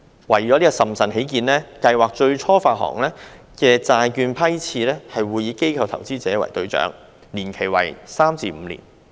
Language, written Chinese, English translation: Cantonese, 為審慎起見，計劃最初發行的債券批次會以機構投資者為對象，年期為3年至5年。, For the sake of prudence issuances for the initial tranches of the Programme will target institutional investors with tenors of three to five years